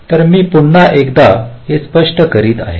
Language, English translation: Marathi, so let me just explain it once more